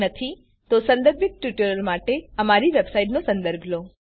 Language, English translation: Gujarati, If not, for relevant tutorial please visit our website which is as shown